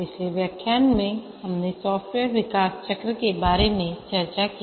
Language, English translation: Hindi, In the last lecture we discussed about the software development lifecycle